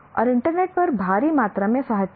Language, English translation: Hindi, And there is huge amount of literature on the internet